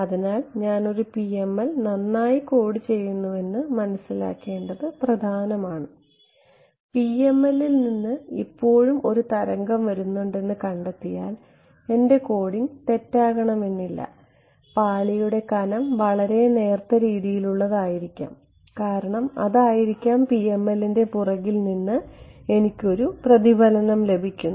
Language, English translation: Malayalam, So, it is important to understand supposing I code up perfectly a PML and I find that there is a wave still coming from the PML its it could it, its not necessary that my coding was incorrect it may be just that the layer thickness is so, small that I am getting a reflection from the backend of the PML right